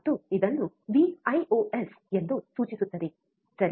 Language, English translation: Kannada, And it is denoted by Vios, alright